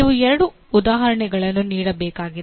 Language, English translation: Kannada, You are required to give two examples